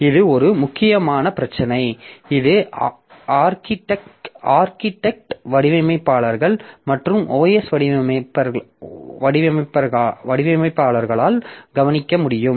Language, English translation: Tamil, And this is a very important issue that is that has to be taken care of by the architecture designers and OS designers